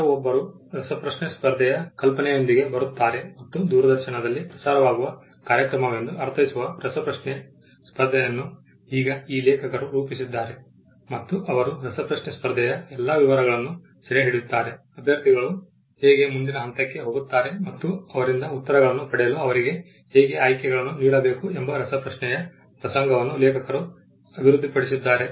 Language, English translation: Kannada, Someone comes with an idea for a quiz competition and the quiz competition which is meant to be a broadcasted event over the television is now been devised by this author and he captures all the details of the quiz competition how it has to be conducted how the candidates will move to the next level how to choose how to give them options to come up with the answers various details with regard to this quizzing event is developed by the author